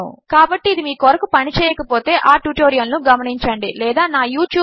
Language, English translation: Telugu, So if this doesnt work for you watch that tutorial or just drop me an email or contact me through my youtube